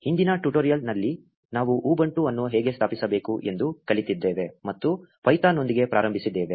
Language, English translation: Kannada, In the previous tutorial, we learnt how to install ubuntu and got started with python